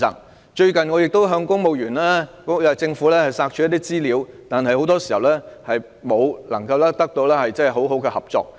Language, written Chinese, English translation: Cantonese, 我最近曾向政府索取資料，但很多時候卻得不到充分合作。, Recently I tried to obtain information from the Government . But more often than not I am unable to get any full cooperation